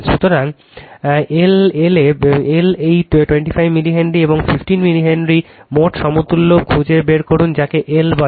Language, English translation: Bengali, So, L this the your 25 milli Henry, and 15 milli Henry find out the total equivalent your what you call L